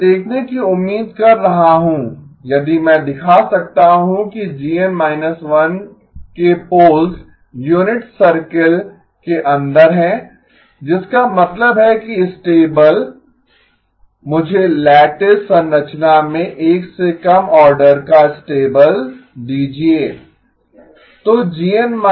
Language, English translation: Hindi, I am hoping to see if I can show that the poles of G N minus 1 are inside the unit circle that means stable, gave me stable of order less than 1 in the lattice structure